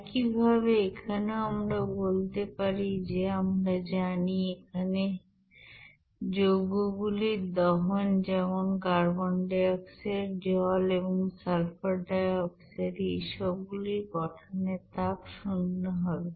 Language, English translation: Bengali, Similarly, here also we can say that this you know products of combustion here like carbon dioxide, water and sulfur dioxide all will have their heat of combustion will be equals to zero